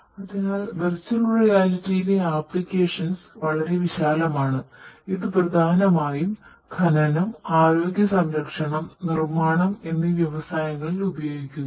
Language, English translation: Malayalam, So, virtual reality application is very wide it is mainly used in the industry mining industry, healthcare industry and manufacturing industry